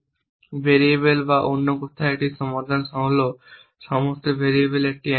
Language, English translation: Bengali, Or in other words a solution is an assignment to all the variables